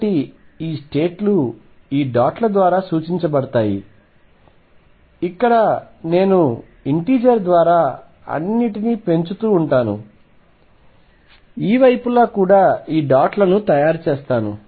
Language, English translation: Telugu, So, these states are represented by these dots where I just keep increasing everything by an integer let me make this dots on this sides also